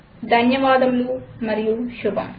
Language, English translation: Telugu, Thank you and goodbye.